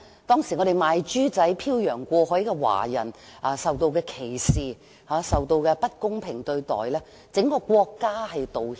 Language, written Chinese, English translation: Cantonese, 當時"賣豬仔"飄洋過海的華人受到歧視和不公平對待，整個國家就此向他們作出道歉。, Years ago Chinese contract labourers who were shipped across the oceans to Canada were battered by discrimination and unjust treatment . The whole country has now apologized to these peoples for what they were made to go through